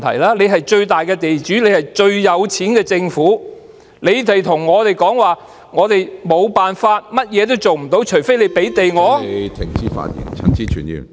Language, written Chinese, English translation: Cantonese, 政府是最大的地主，亦最富有，但卻向我們說道無計可施，除非我們給予他們土地......, The Government is the biggest landlord and the richest entity but they are telling us there is nothing they can do unless we give them land